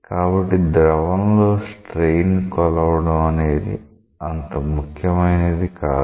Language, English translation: Telugu, So, measuring strain in a fluid is nothing that is important